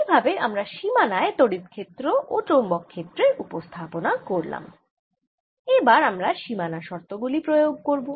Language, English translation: Bengali, so we have set up what the electric field and magnetic fields are at the boundary and now we need to apply the conditions